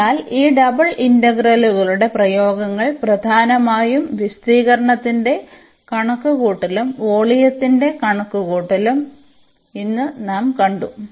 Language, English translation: Malayalam, So, what we have seen today that applications of this double integrals mainly the computation of area and also the computation of volume